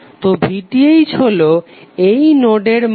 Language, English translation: Bengali, So VTh would be the value of this node